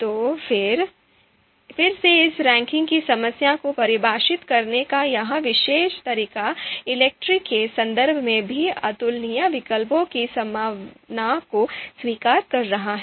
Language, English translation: Hindi, So again this particular you know way of you know defining this ranking problem in the context of ELECTRE is also accepting the possibility of incomparable alternatives